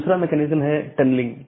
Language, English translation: Hindi, The second mechanism is tunneling